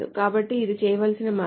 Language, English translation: Telugu, So this is a way to do it